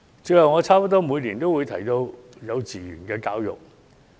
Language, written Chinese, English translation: Cantonese, 最後，我差不多每年都會提到幼稚園教育。, Lastly kindergarten education is a topic that I talk about almost every year